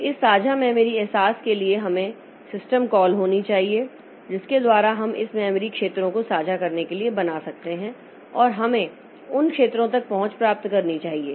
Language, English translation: Hindi, So, for the shared memory realization we should, there should be system calls by which we can create this memory regions to be shared and we should gain access to those regions